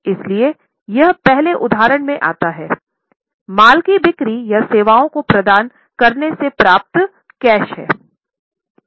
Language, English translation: Hindi, So, it falls in the first example, that is cash received from sale of goods for rendering services